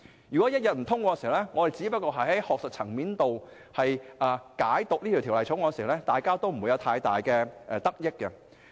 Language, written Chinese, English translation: Cantonese, 如果不通過《條例草案》，我們只流於在學術層面上對它作出解讀，各方都不會有太大得益。, If we do not pass the Bill our understanding of the whole issue will remain purely academic and no one will benefit